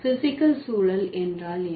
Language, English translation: Tamil, And what are the physical context